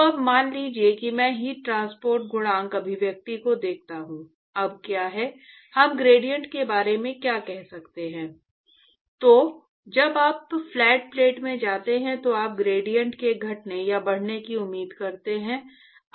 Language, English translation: Hindi, So, now, supposing I look at, I stare at the heat transport coefficient expression, now what is the, what can we say about the gradient as a function of … So when you go into the flat plate, you expect the gradient to decrease or increase